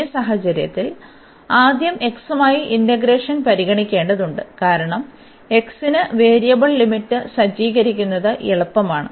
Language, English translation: Malayalam, So, in this case we have to consider first the integration with respect to x because it is easier to set this variable limits for x